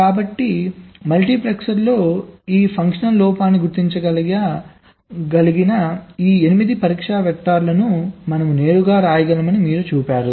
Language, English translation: Telugu, we have written down this: eight test vectors that can detect these fuctional faults in the multiplexer